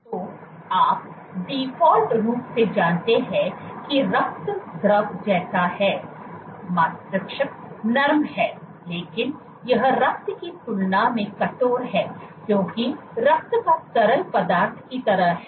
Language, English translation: Hindi, So, you know by default that Blood is Fluid like, Brain is soft, but it is stiffer than blood because blood is like a fluid